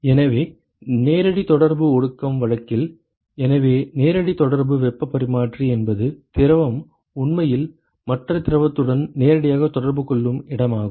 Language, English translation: Tamil, So, in the in the case of direct contact condensation; so, direct contact heat exchanger is where the fluid is actually in contact with the other fluid directly